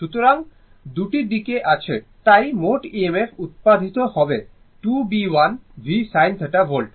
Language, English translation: Bengali, So, two sides therefore, total EMF generated will be 2 B l v sin theta volts, right